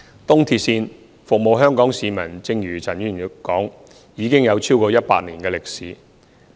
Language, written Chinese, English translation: Cantonese, 東鐵線服務香港市民，正如陳議員說已有超過100年歷史。, As Mr CHAN Chun - ying mentioned the East Rail Line ERL formerly known as the Kowloon - Canton Railway has served Hong Kong people for over a century